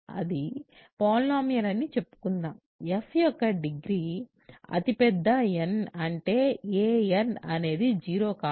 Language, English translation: Telugu, So, that is, let us say this is a polynomial, degree of f is the largest n such that a n is non zero